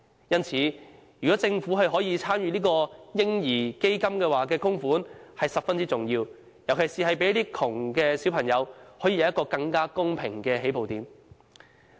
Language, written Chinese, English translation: Cantonese, 因此，政府參與這個"嬰兒基金"的供款是十分重要的，尤其可讓貧窮的小朋友有一個更公平的起步點。, Hence the contribution of the Government to the baby fund is very important for it will place children in poverty at a fairer starting point